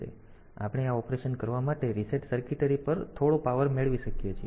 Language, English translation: Gujarati, So, we can have some power on reset circuitry for doing this operation